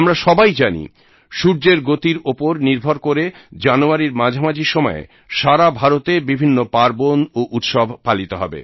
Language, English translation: Bengali, We all know, that based on the sun's motion, various festivals will be celebrated throughout India in the middle of January